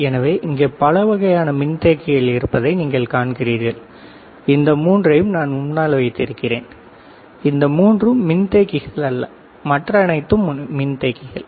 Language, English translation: Tamil, So, you see there are several kind of capacitors here, this three that I am keeping in front not consider this three all these are capacitors right